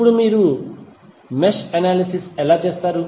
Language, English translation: Telugu, Now, how you will do the mesh analysis